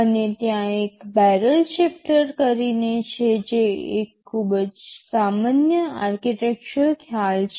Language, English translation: Gujarati, And there is something called a barrel shifter which that is a very common architectural concept